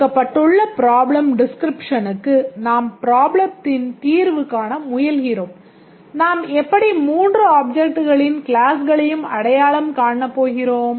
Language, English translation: Tamil, Given a problem description we are trying to solve a problem, how do we go about to identify the three classes of objects